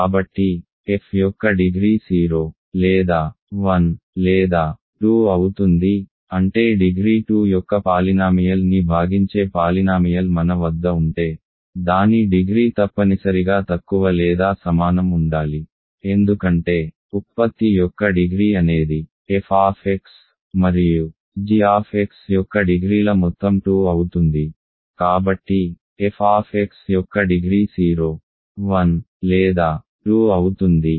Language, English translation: Telugu, So, degree f is 0 or 1 or 2, that means because if you have a polynomial that divides a polynomial of degree 2 its degree must be less than or equal to that right because degree of the product is the sum of the degrees degree f x plus degree of g x is 2; so, degree f x 0 1 or 2